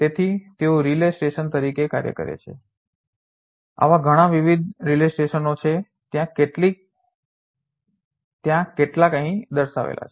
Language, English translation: Gujarati, So, they act as the relay station, many different such relay stations are there some of them are right over here